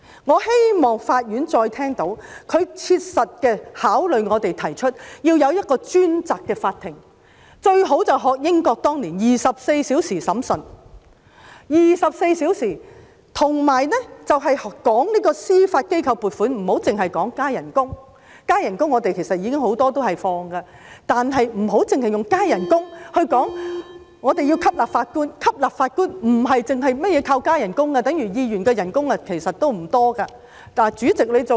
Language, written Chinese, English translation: Cantonese, 我希望法院再次聽到，並切實考慮我們的建議，要設立一個專責法庭，最好便是學習英國當年的24小時審訊安排；而且談到司法機構撥款，不要只談加薪——關於加薪要求，其實我們很多時也會批准——不要只以加薪來吸納法官，因為吸納法官不單靠加薪，等於議員的薪金其實也不多......, I wish that the courts can again hear and practically consider our proposal of setting up a dedicated court . It is best to learn from the experience of the United Kingdom where certain courts operated 24 hours a day to hear the cases back then . As regards funding to the Judiciary we should not merely consider a pay rise―concerning the requests for increased remuneration actually they will usually be endorsed by us―do not recruit judges through increased remuneration only as we should not merely resort to a pay rise in the recruitment of judges